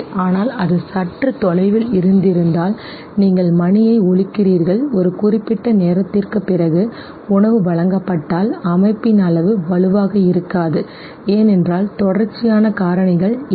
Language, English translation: Tamil, But had it been a little far off, you ring the bell and after a certain no elapse of time if the food was presented the degree of association would not have been stronger because the contiguity factors was not seen